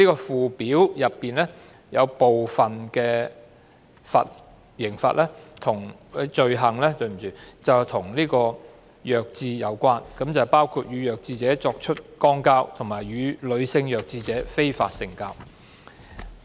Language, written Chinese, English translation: Cantonese, 附表中部分罪行與弱智人士有關，包括與弱智者作出肛交及與女性弱智者非法性交。, Some offences set out in the Schedule are related to mentally handicapped persons including buggery with a defective and unlawful intercourse with a female defective